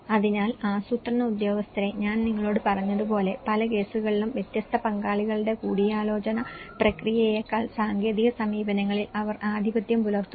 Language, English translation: Malayalam, So, as I said to you planning officials somehow in many at cases they are dominant with the technical approaches rather than a consultative process of different stakeholders